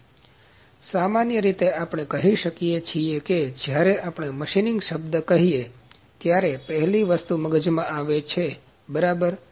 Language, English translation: Gujarati, So, in general when we say word machining the first thing that comes into the mind is ok